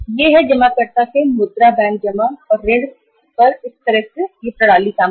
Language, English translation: Hindi, This is the depositor’s money banks work on the deposit and loans system